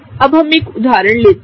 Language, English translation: Hindi, Now, let us do this one example here